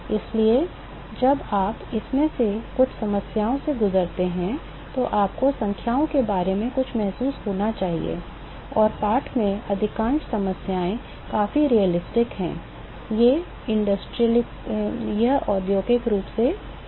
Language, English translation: Hindi, So, you must have some feel for numbers while you go through some of these problems, and most of the problem in the text are fairly realistic, these are industrially related problem